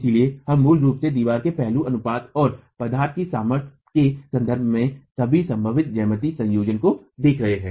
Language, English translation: Hindi, So, we are basically looking at all possible geometrical combinations in terms of the aspect ratio of the wall and in terms of the material strengths